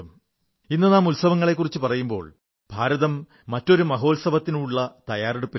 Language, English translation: Malayalam, Today, as we discuss festivities, preparations are under way for a mega festival in India